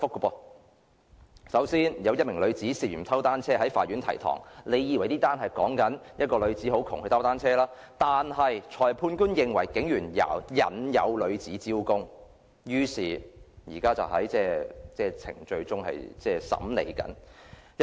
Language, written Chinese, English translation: Cantonese, 首先，有一名女子涉嫌偷單車在法院提堂，大家以為這宗事件是關於一名貧窮女子偷單車，但裁判官認為是警員引誘該女子招供，現正在審理程序中。, First a woman appeared at the Magistracy for an alleged theft of a bicycle . We might think that this case was about a poor woman stealing a bicycle but the Magistrate considered that the police officer had lured the woman into confession and the case is in court proceedings